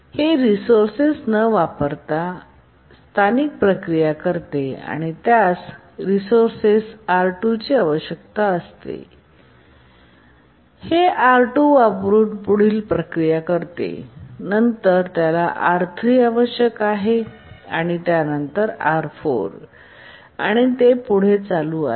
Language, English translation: Marathi, It does some local processing without using resource, then it needs the resource R2 and then it does further processing using R2, then it needs R3, then it needs R4 and so on